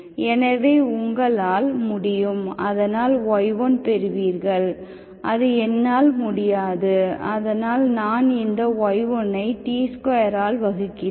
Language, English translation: Tamil, So you can, so y1, I cannot, so because I divide this y1, y1, 1 by y1 of T square